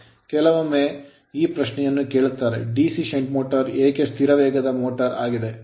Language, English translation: Kannada, Sometimes they ask these questions that why DC shunt motor is a constant speed motor